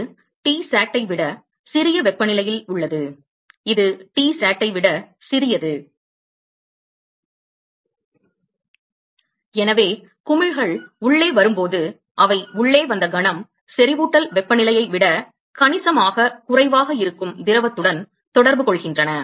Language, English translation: Tamil, This this is at a temperature which is smaller than T sat that smaller than T sat and therefore, as the bubbles comes inside moment they come in and contact with the liquid which is at a significantly of lower than the saturation temperature then there immediately going to from bubbles here fine